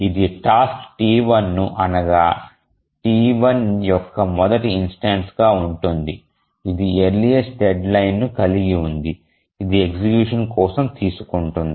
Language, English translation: Telugu, So, it will take the task T1, the first instance of task T1 which has the earliest deadline it will take that up for execution